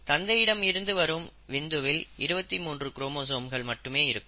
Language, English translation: Tamil, So a sperm coming from father will have only twenty three chromosomes, so it is a haploid cell